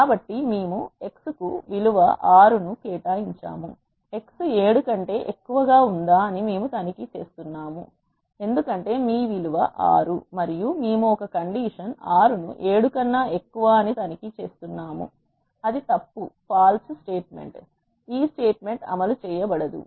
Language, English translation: Telugu, So, we have assigned a value of 6 to x, we are checking if x is greater than 7 because your value is 6 and we are checking a condition 6 is greater than 7 which is false this statement will not be executed